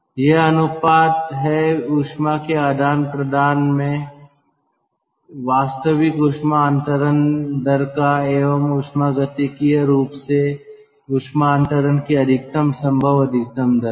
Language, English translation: Hindi, it is the ratio of actual heat transfer rate in the heat exchanger to the thermodynamically limited maximum possible rate of heat transfer